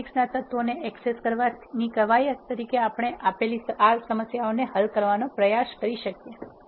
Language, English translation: Gujarati, As an exercise to access elements of a matrix you can try solving this problems that are given